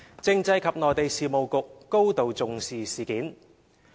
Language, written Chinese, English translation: Cantonese, 政制及內地事務局高度重視事件。, The Constitutional and Mainland Affairs Bureau attaches great importance to the incident